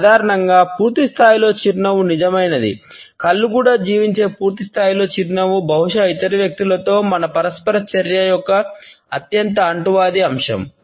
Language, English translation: Telugu, Normally, it is said that a full blown smile is genuine, a full blown smile in which the eyes are also lived up is perhaps the most infectious aspect of our interaction with other people